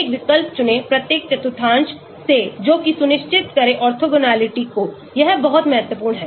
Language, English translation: Hindi, choose a substituent from each quadrant to ensure orthogonality that is very important